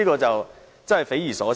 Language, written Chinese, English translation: Cantonese, 真是匪夷所思。, That is really baffling